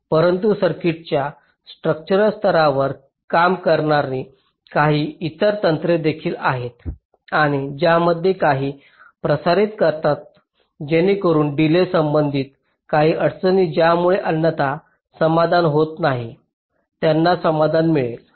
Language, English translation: Marathi, but there is some other techniques also which work at the structural level of the circuit and carry out some transmissions therein, so that some of the ah, delay related constraints, which are not otherwise getting satisfied, they can be satisfied, ok